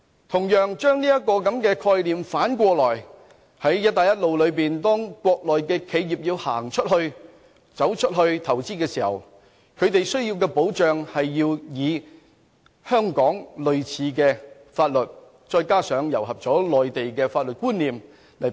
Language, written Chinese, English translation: Cantonese, 同樣，我們可以把這個概念反過來，在"一帶一路"下國內企業要走出去投資時，它們同樣需要類似香港法律再加上內地法律觀念的保障。, Similarly we can reverse this idea and provide similar protection for Mainland enterprises which intend to make foreign investments under the Belt and Road Initiative because these enterprises also need similar legal protection that is supported by Hong Kong and Mainland laws